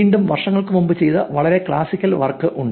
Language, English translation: Malayalam, Again there is a very classical work that was done some years back